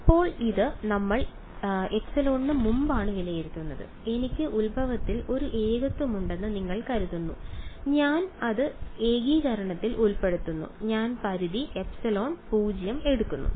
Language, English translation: Malayalam, Now is this before we evaluate this what do you think I have a I have a singularity at the origin and I am including it in the integration I am taking the limit epsilon tending to 0